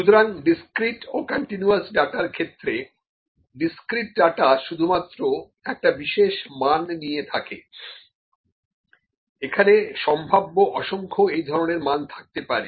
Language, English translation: Bengali, So, for the discrete and continuous data, discrete data takes only a particular value, there may be potentially be an infinite number of those values